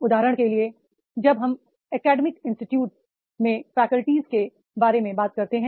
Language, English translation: Hindi, For example, when we talk about the faculties in academic institutes